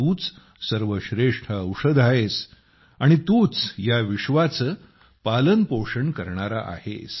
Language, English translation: Marathi, You are the best medicine, and you are the sustainer of this universe